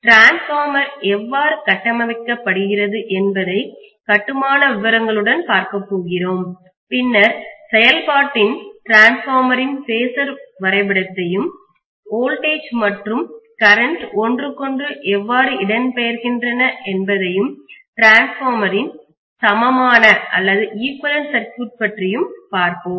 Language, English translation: Tamil, We will of course start with constructional details how the transformer is constructed then after doing that we would be looking at what is the principle of operation and then we will be actually looking at the phasor diagram of the transformer; how the voltages and currents are displaced from each other, then we will be looking at equivalent circuit of the transformer